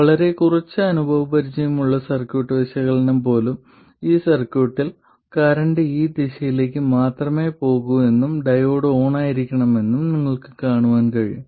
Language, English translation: Malayalam, In fact in this circuit with even a very little bit of experience in circuit analysis, you should be able to see that the current can only go in this direction and the diode has to be on